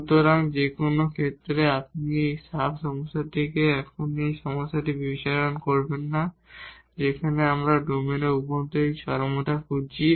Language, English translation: Bengali, So, in any case you will not consider this point now in this sub problem where we have we are looking for this extrema in the interior of the domain